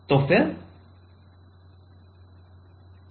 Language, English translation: Hindi, So, then HF